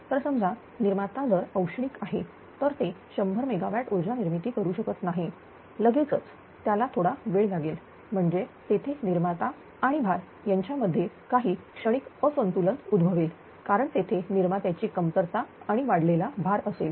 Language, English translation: Marathi, So, generators whether it is a ah suppose, if it is a thermal unit; that it cannot generate power 100 megawatt, instantaneously, it takes some time; that means, there is some transient imbalance will occur between generation and load because there will be shortage of generation and load an increase